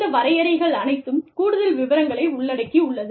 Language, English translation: Tamil, You know, all these definitions, encompass a whole lot of detail